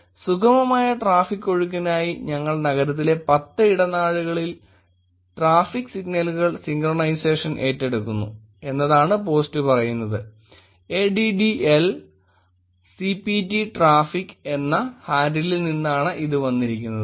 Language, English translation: Malayalam, The post says that ‘we are taking up traffic signals synchronization on 10 corridors in the city for smooth traffic flow’ and it is coming from handle AddICPTraffic